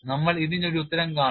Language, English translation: Malayalam, We will see an answer